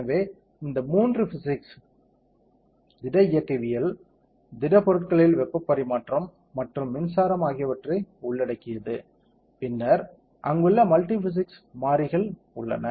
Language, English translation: Tamil, So, it involves three physics solid mechanics, heat transfer in solids and electric currents and then what are the multi physics variables that are there